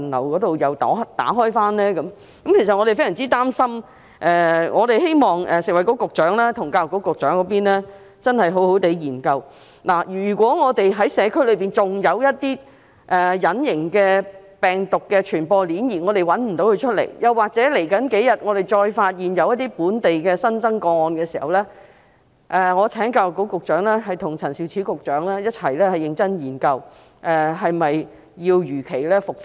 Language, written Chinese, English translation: Cantonese, 我們感到非常擔心，希望食物及衞生局局長和教育局局長真的好好研究一下，如果社區內仍然存在隱形病毒傳播鏈，但我們找不到在哪裏，又或在接下來數天，再發現一些本地新增個案，這樣的話，我請教育局局長和陳肇始局長共同認真研究，是否要如期復課？, Greatly worried we hope the Secretary for Food and Health and Secretary for Education will indeed conduct a proper study . In case an invisible chain of virus transmission still exists in the community but we fail to locate it or more new local cases are discovered in the coming few days may I ask the Secretary for Education and Secretary Prof Sophia CHAN to seriously examine together whether classes should be resumed as scheduled?